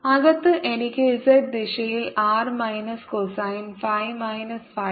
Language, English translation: Malayalam, inside i get r minus r, cosine of phi minus phi prime in the z direction